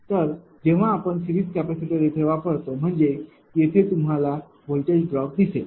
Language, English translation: Marathi, So, when you are putting series capacitor means that; here you look the if voltage drop